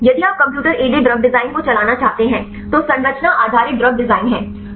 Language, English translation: Hindi, So, if you want to carry out computer aided drug design, are structure based drug design